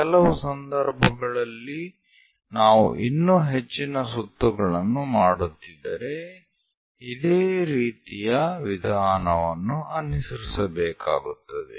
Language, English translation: Kannada, In certain cases, if we are making many more revolutions, similar procedure has to be followed